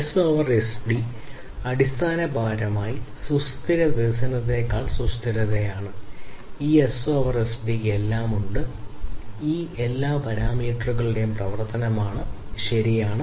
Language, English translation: Malayalam, So, S over SD is basically sustainability over sustainable development and for this S over SD has all of it is a function of all these parameters, right